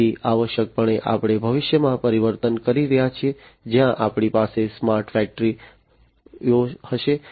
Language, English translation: Gujarati, So, essentially we are transforming into the future, where we are going to have smart factories